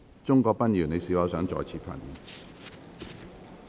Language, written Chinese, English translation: Cantonese, 鍾國斌議員，你是否想再次發言？, Mr CHUNG Kwok - pan do you wish to speak again?